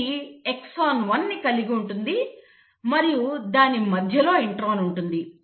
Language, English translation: Telugu, It will have the exon 1 and then it will have the intron in between